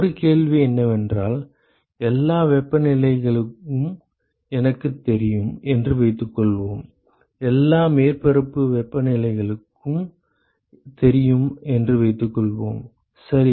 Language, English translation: Tamil, The question one is suppose I know all the temperatures suppose all surface temperatures are known, ok